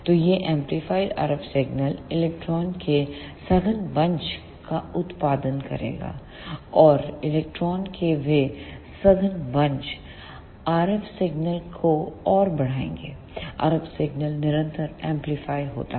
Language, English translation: Hindi, So, this amplified RF signal will produce denser bunches of electron, and those denser bunches of electron will further amplify the RF signal, RF signal is continuously amplified